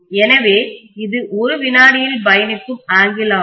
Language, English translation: Tamil, So this is the angle that is traversed in 1 second